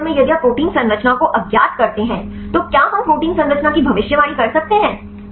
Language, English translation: Hindi, In this case if you unknown the protein structure can we predict the protein structure